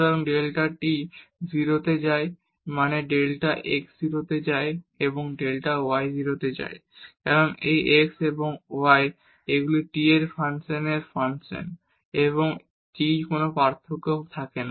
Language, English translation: Bengali, So, delta t goes to 0 means delta x goes to 0 and delta y goes to 0 because this x and y they are functions of function of t and if there is no variation in t